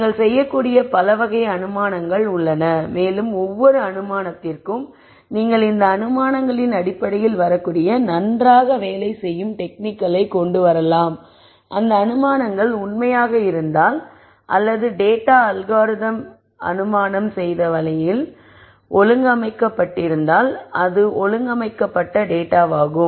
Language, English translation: Tamil, There are many types of assumptions that you could make and for each of these assumptions based on the assumptions you could come up with techniques which would work very well if those assumptions were true or the data was organized in a way the algorithm assumes it is organized